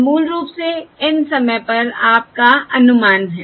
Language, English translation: Hindi, This is basically your estimate at time N